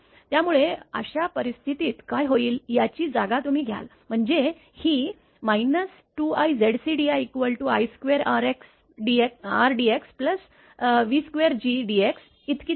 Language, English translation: Marathi, So, in that case what will happen you substitute this; that means, this minus 2 i Z c d I is equal to i square R dx plus v square G dx